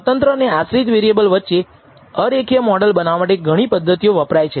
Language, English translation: Gujarati, These are methods that are used to develop non linear models between the dependent and independent variable